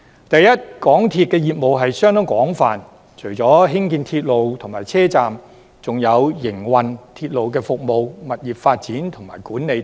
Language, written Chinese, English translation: Cantonese, 首先，港鐵公司業務相當廣泛，除了興建鐵路及車站，還有營運鐵路服務、物業發展及管理等。, First of all MTRCL has a wide scope of businesses ranging from the construction of railways and stations to the operation of railway service property development and management